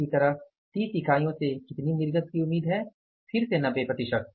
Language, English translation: Hindi, Similarly how much is output expected from the 30 units